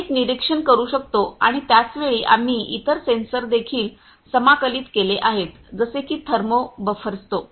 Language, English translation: Marathi, We can one monitor and on the same time we have also integrated other sensors such as or thermo buffersto the wielding and the heat input